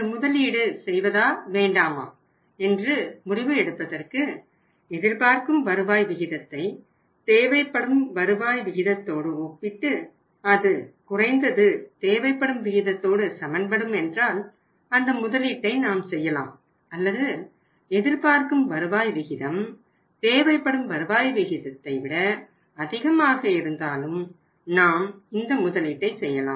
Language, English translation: Tamil, And then for taking a decision whether we should go for this investment or not we should compare the expected rate of return with the required rate of return with the required rate of return and if expected rate of return is at least equal to the required rate of return, we will go for this investment or in the other case if the expected rate of return is more than the required rate of return we will go for this investment